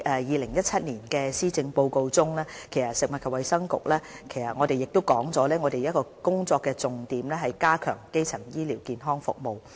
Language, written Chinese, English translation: Cantonese, 2017年施政報告指出，食物及衞生局的其中一個工作重點，是加強基層醫療服務。, The 2017 Policy Address states that one of the work priorities of the Food and Health Bureau is the strengthening of primary health care services